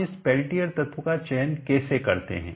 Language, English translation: Hindi, How do we select this Pelletier element